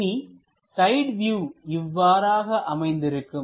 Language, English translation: Tamil, So, the side view will be in that way